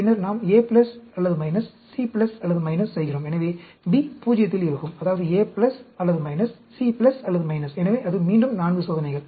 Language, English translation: Tamil, Then, we do A plus or minus, C plus or minus, and B will be in 0; that means, A plus or minus, C plus or minus; so, that is again, 4 experiments